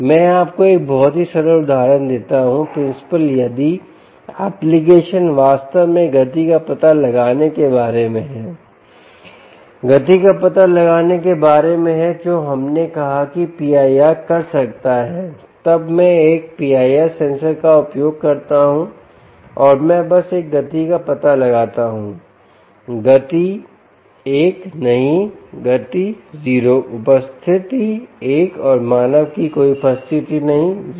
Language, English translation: Hindi, the principal, if the application indeed is about motion detection, is about motion detection, which we just said p i r can do, then i would use a p i r sensor and i just simply detect a motion one, no motion zero, presence one and no presence of human zero